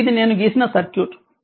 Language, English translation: Telugu, So so this is the circuit I have drawn